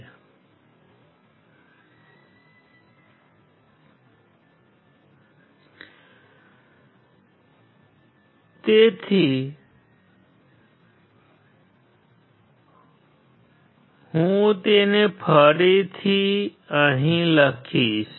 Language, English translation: Gujarati, So, I will write it down here once again